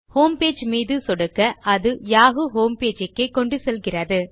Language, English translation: Tamil, As a result, clicking on the homepage button brings us to the yahoo homepage